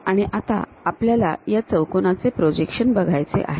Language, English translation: Marathi, Now, we would like to have projections for this rectangle